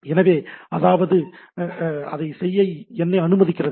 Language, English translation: Tamil, So, that means, that that allows me to do that